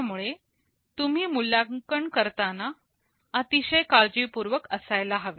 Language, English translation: Marathi, So, you must be very careful in the evaluation